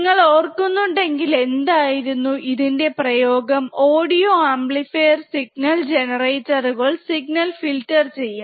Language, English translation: Malayalam, It finds application again if you remember what are the application, audio amplifier signal generator signal filters, right